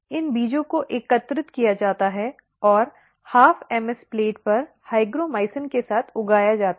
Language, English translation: Hindi, These seeds are collected and grown on half MS plate with hygromycin